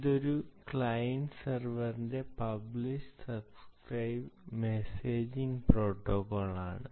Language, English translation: Malayalam, its a client server, publish, subscribe messaging protocol